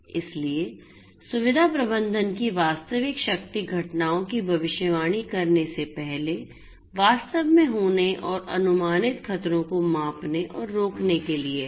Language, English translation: Hindi, So, the real power of facility management is to predict the events before they actually occur and to measure and prevent the predicted hazards